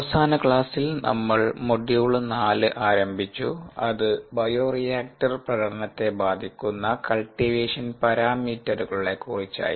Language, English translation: Malayalam, in the last lecture we had ah started module four, which is on cultivation parameters that affect bioreactor performance